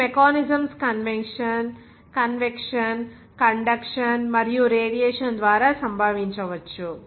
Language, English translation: Telugu, It may occur by mechanisms convection, conduction, and radiation